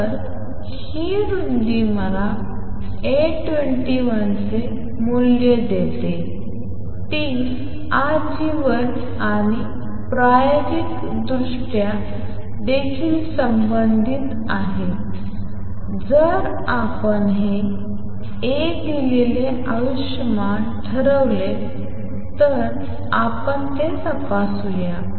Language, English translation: Marathi, So, this width gives me the value of A 21 it is also related to lifetime and experimentally if we determine the lifetime this gives A